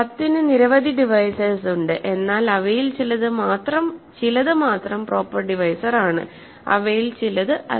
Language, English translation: Malayalam, So, 10 has several divisors, but only some of them are not proper, some of them are proper